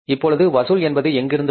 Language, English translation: Tamil, Now, first collection will come from where